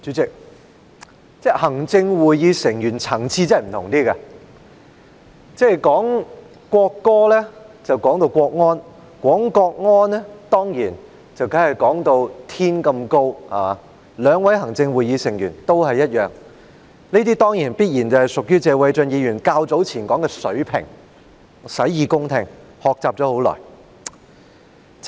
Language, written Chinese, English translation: Cantonese, 主席，行政會議成員的層次真的不一樣，討論國歌便提到國安，討論國安時當然要把事情說得像天一般高，兩位行政會議成員都一樣，這必然屬謝偉俊議員較早前說的"水平"，我洗耳恭聽，定當好好學習。, President Members of the Executive Council are really at a different level . When discussing the national anthem they mentioned national security; and when discussing national security they certainly have to elevate this matter to the highest level . The two Members of the Executive Council are just the same